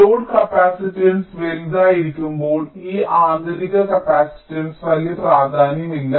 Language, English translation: Malayalam, so when the load capacitance is large, so this intrinsic capacitance will not matter much